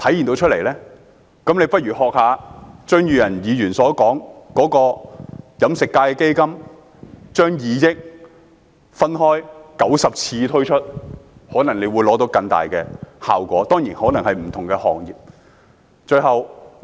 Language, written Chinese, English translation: Cantonese, 政府不如學習李嘉誠基金會，將2億元分開90次推出，支援飲食業以外的行業，可能會獲得更大的效果。, The Government had better learn from the Li Ka Shing Foundation and spend 200 million in 90 phases to support industries other than the catering industry . Greater effect may be achieved in this way